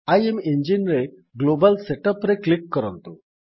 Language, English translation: Odia, Under IMEngine, click on Global Setup